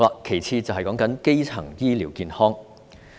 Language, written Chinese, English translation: Cantonese, 其次是基層醫療健康。, Secondly it is about primary health care